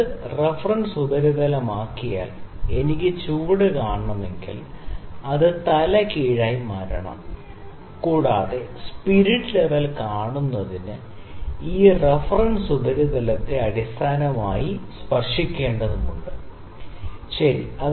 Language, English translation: Malayalam, If I need to see at the bottom side because this is the reference surface, we have to turn it upside down, and this reference surface has to be touched with the base to see the spirit level, ok